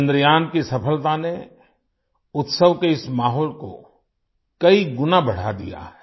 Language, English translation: Hindi, The success of Chandrayaan has enhanced this atmosphere of celebration manifold